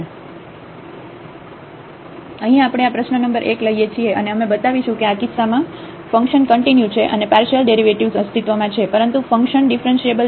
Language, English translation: Gujarati, So, here we take this problem number 1, and we will show that in this case the function is continuous and the partial derivatives exists, but the function is not differentiable